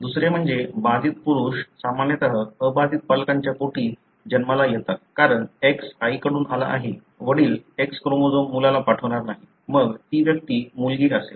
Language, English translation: Marathi, The second is that affected males are usually born to unaffected parents, because the X has come from mother; father will not transmit X chromosome to son, then that individual becomes daughter